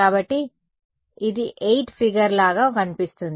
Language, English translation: Telugu, So, this is going to look like a figure of 8 right